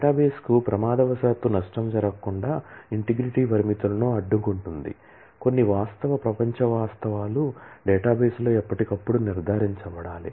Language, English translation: Telugu, Integrity constraints guard against accidental damage to the database that is there are certain real world facts that must be ensured in the database all the time